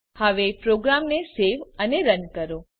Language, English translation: Gujarati, Now Save and Run the program